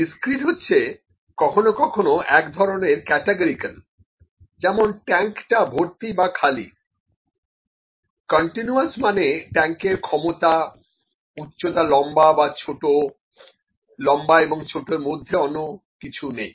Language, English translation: Bengali, Discrete is the kind of categorical sometimes like is the tank full or empty, the continuous can be the capacity of the tank height is this tall or small